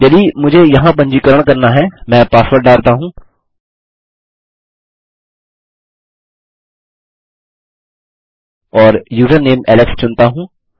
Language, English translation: Hindi, If I were to register here, let me put the password in and choose the username as alex